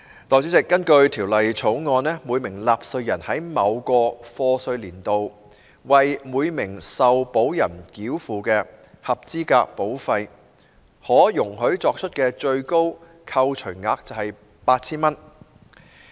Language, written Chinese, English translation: Cantonese, 代理主席，根據《條例草案》，每名納稅人在某課稅年度，為每名受保人繳付的合資格保費可容許作出的最高扣除額為 8,000 元。, Deputy President according to the Bill the maximum deduction allowable to a taxpayer in respect of qualifying premiums paid for each insured person in the year of assessment would be 8,000